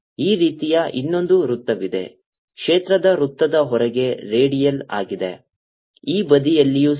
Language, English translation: Kannada, around it there is another circle like this outside the, out of the circle of the field, radiant on this side also